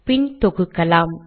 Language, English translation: Tamil, Let me compile